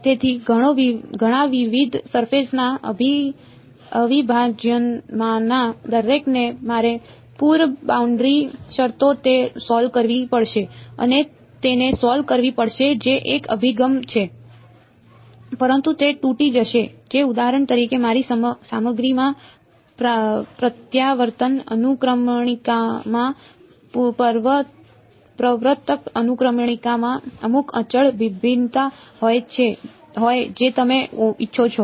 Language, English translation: Gujarati, So, many different surface integrals each of those I will have to solve put boundary conditions and solve it that is one approach, but that will break down if for example, my my material has some continuous variation in refractive in refractive index permittivity whatever you want to call it right